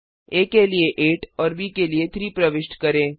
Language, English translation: Hindi, I enter a as 8 and b as 3